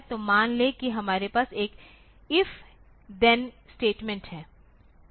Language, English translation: Hindi, So, suppose we are having one if then will statement